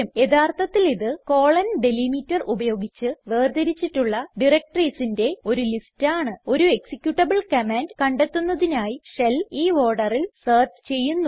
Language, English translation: Malayalam, It is actually a list of directories separated by the#160: delimiter, that the shell would search in this order for finding an executable command